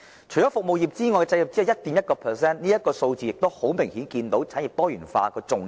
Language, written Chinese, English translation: Cantonese, 除服務業外，製造業只佔 1.1%， 從這數字明顯可見產業多元化的重要性。, Meanwhile the manufacturing sector only constituted 1.1 % of our GDP . These figures clearly reflect the need for industrial diversification